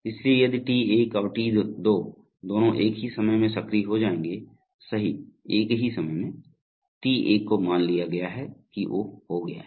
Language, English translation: Hindi, So if T1 and T2 will both become active at the same time, true at the same time then T1 is assumed to have taken place